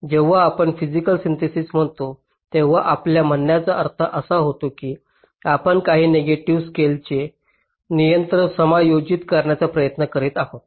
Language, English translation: Marathi, that when we say physical synthesis what we actually mean is we are trying to adjust, a control some of the negative slacks